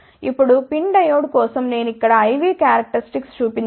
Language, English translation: Telugu, Now, for PIN diode I V characteristics I have shown over here